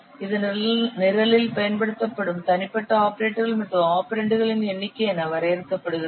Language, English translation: Tamil, It is defined as the number of unique operators and operands used in the program